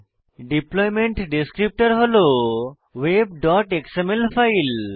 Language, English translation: Bengali, The deployment descriptor is a file named web.xml